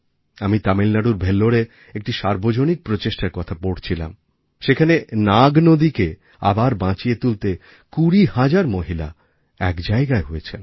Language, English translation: Bengali, I was reading about the collective endeavour in Vellore of Tamilnadu where 20 thousand women came together to revive the Nag river